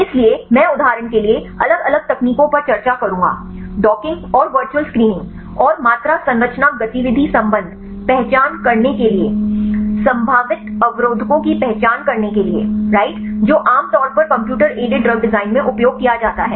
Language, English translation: Hindi, So, I will discussed different techniques for example, the docking and virtual screening and quantity structure activity relationship right to identify the probable inhibitors right generally used in computer aided drug design